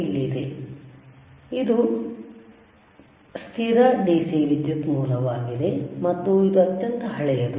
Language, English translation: Kannada, If you see, this is fixed DC power source and this is extremely old